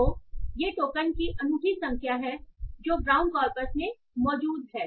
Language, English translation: Hindi, So, these are the unique number of tokens that are present in the brown corpus